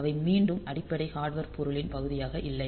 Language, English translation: Tamil, So, they do not that is not again the part of the basic hardware